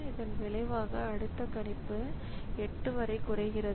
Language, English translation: Tamil, So, this as a result the next prediction comes down to 8, okay